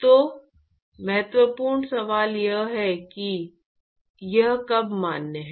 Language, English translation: Hindi, So, the important question is when is it valid